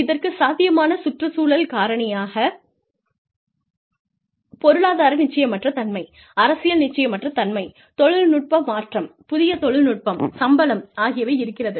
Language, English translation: Tamil, Potential sources could be, environmental factors, economic uncertainty, political uncertainty, technological change, new technology comes up, salaries